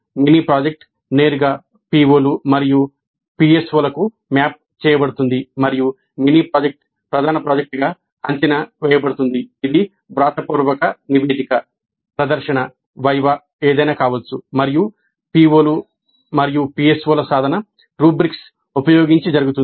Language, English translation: Telugu, Mini project is directly mapped to POs and PSOs and the mini project is evaluated as the main project, maybe a written report, demonstration, a VEBA and the attainment of POs and PSOs is done using rubrics and the mini project is evaluated in total using rubrics